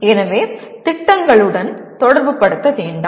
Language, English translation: Tamil, So do not relate to the projects